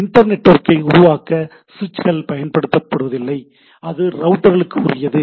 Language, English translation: Tamil, Switches are not used to create inter networking so, that is for router